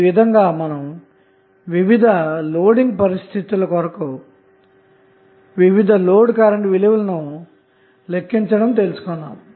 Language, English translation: Telugu, So how you will calculate the different load voltage and load current values